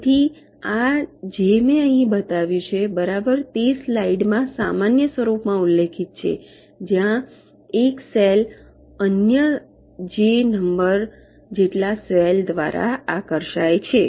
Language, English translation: Gujarati, so this, exactly what i have shown here, is mentioned in the slide in a general form, where a cell is attracted by other j number of cells